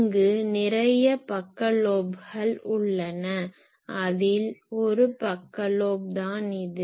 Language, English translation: Tamil, Some of this are side lobes like this one is side lobe